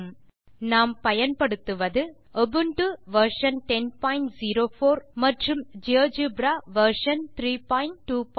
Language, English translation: Tamil, In this tutorial i have worked on Ubuntu version 10.04 LTS and Geogebra version 3.2.40